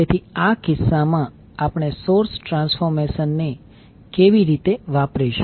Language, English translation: Gujarati, So in this case, how we will carry out the source transformation